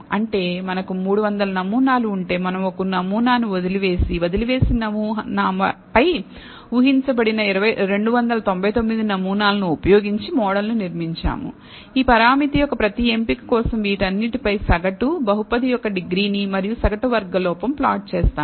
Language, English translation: Telugu, That means, if we have 300 samples we left out one sample, built the model using 299 samples predicted on the sample that is left out do this in turn, average over all of this for every choice of these parameter, degree of the polynomial and mean squared error we have plotted